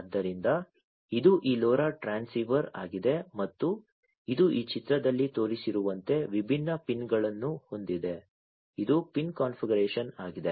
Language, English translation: Kannada, So, this is this LoRa transceiver and it has different pins like shown over here in this figure, this is the pin configuration